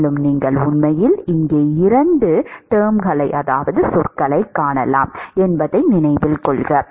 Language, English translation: Tamil, And, note that you can actually see two terms here